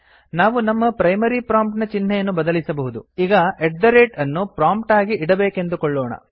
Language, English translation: Kannada, We may change our primary prompt string to say at the rate lt@gt at the prompt